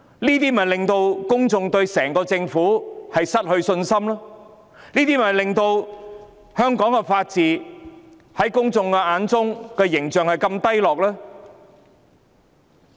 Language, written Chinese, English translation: Cantonese, 這事令公眾對政府失去信心，也令香港法治的形象低落。, This incident has eroded public confidence in the Government and has also degraded the image of the rule of law in Hong Kong